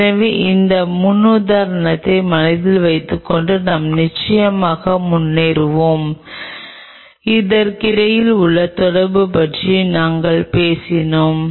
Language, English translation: Tamil, So, keeping this paradigm in mind we will move on to and of course, we talked about the interaction between this is the kind of interactions which are possibly happening